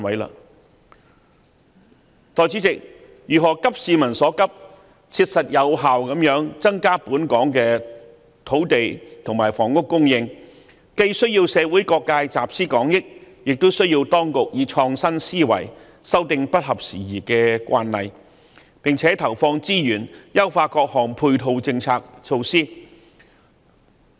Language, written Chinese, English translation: Cantonese, 代理主席，如何急市民所急，切實有效地增加本港土地和房屋供應，既需要社會各界集思廣益，也需要當局以創新思維修訂不合時宜的慣例，並且投放資源，優化各項配套政策措施。, Deputy President in order to address the peoples pressing needs by effectively increasing land and housing supply in Hong Kong society has to pool collective wisdom and the Administration has to update obsolete practices with an innovative mindset . It should also allocate resources and optimize various complementary policies and measures